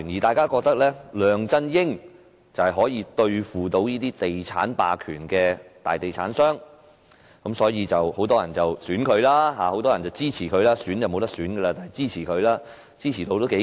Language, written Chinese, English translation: Cantonese, 大家都認為梁振英可以對付那些地產霸權和大地產商，所以很多人選他或支持他，他當時的支持度頗高。, As people thought that LEUNG Chun - ying could fight property hegemony and big property developers many elected or supported him and his rate of support was rather high then